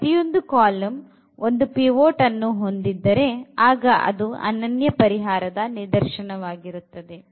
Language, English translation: Kannada, So, every column has a pivot and this is exactly the case when we have the unique solution